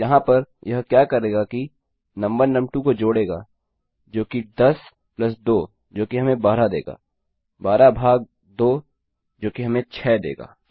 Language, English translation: Hindi, So, here what it will do is num1 plus num2 which is 10 plus 2 which gives us 12 divided by 2 which should give us 6